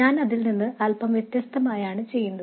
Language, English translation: Malayalam, What I will do is slightly different from that